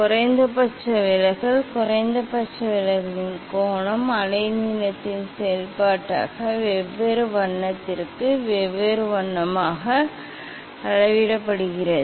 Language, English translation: Tamil, How to measure the minimum deviation, angle of minimum deviation as a function of wavelength as a function different color for different color